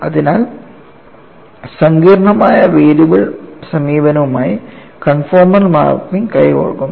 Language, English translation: Malayalam, So, conformal mapping goes hand in hand with complex variables approach and what is the advantage